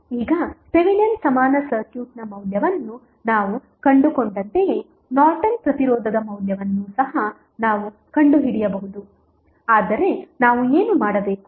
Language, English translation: Kannada, Now, we can also find out the value of Norton's resistance the same way as we found the value of Thevenin equivalent circuit that means what we have to do